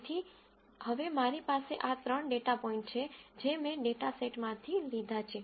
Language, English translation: Gujarati, So, now, I have these three data points that I picked out from the data set